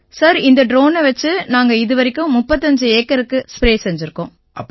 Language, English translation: Tamil, Sir, we have sprayed over 35 acres so far